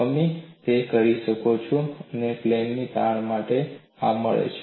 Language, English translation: Gujarati, We can do that and you get this for plane strain